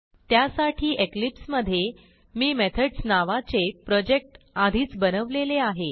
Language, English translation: Marathi, So, in the eclipse, I have already created a project Methods